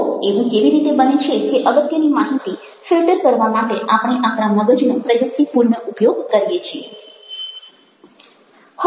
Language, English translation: Gujarati, so how is it that we, strategically, we use our minds to filter out the important information